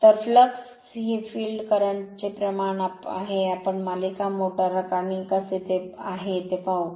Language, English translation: Marathi, So, flux is proportional to the field current right we will see the series motors and how is it